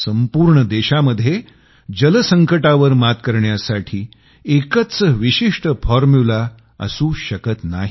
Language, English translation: Marathi, There cannot be a single formula for dealing with water crisis across the country